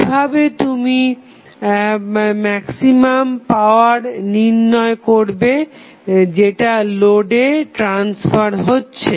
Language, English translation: Bengali, How you will calculate the maximum power which would be transferred to the load